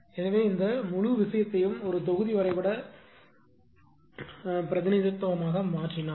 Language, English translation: Tamil, So, if you if you make this whole thing as a block diagram representation